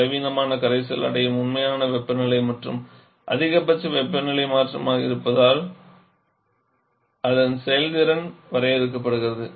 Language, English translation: Tamil, Sorry, the actual temperature change the weak solution attains is the maximum possible temperature change